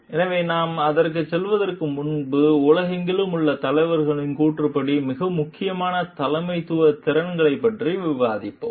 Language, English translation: Tamil, So, before we go for that, we will discuss the most important leadership competencies according to the leaders around the world